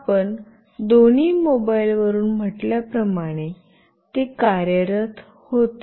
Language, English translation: Marathi, As you said from both the mobiles, it was working